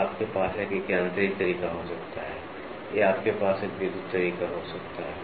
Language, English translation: Hindi, So, you can have a mechanical way or you can have an electrical way